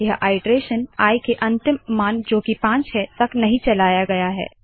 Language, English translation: Hindi, The iteration is not carried out till the last value of i, namely 5